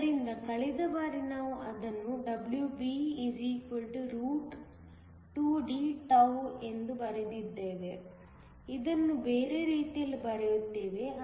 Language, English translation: Kannada, So, last time we wrote it as WB=2Dτ, just writing in the other way